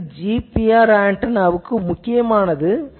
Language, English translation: Tamil, This is quite significant for a GPR antenna